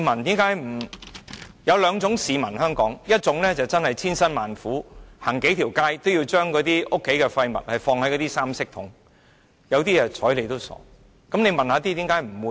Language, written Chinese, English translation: Cantonese, 香港有兩種市民，一種是千辛萬苦，走數條街也要把家中的廢物放到三色回收桶，另有些則懶得理會。, In respect of waste recycling there are two different kinds of people in Hong Kong . One will not hesitate to walk several streets in order to put the domestic waste into the 3 - colour bins but the other does not bother to do so